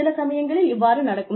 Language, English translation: Tamil, Sometimes, this may happen